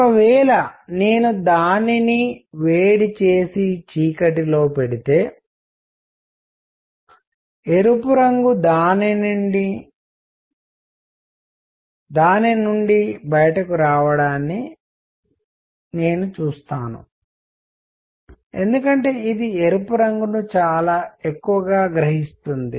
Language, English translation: Telugu, If I heat it up and put it in the dark, I am going to see red color coming out of it because it absorbs red much more